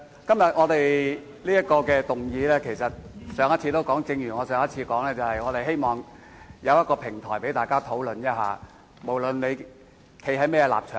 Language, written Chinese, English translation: Cantonese, 正如我在上次會議所說，我動議這項議案，是希望提供一個平台讓大家討論此事，無論大家的立場為何。, As I said at the last meeting I moved this motion with the hope of providing Members with a platform for debating the issue regardless of what stance Members have adopted